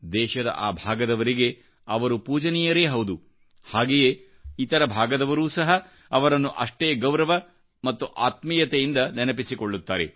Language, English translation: Kannada, He is greatly revered in that part of our country and the whole nation remembers him with great respect and regard